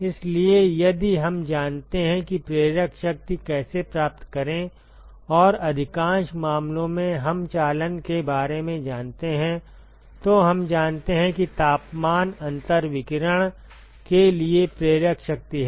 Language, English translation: Hindi, So, if we know how to find the driving force and most of the cases we know for conduction, we know that temperature difference is the driving force for radiation